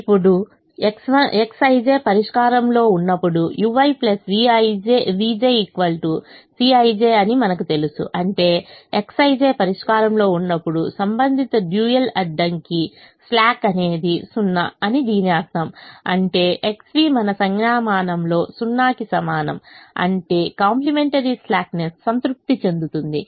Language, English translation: Telugu, now we also know that whenever x i j is in the solution, u i plus v j is equal to c i j, which means when x i j is in the solution, then the corresponding dual constraint, the slack, is zero, which means x v is equal to zero in our notation, which also means complimentary slackness is satisfied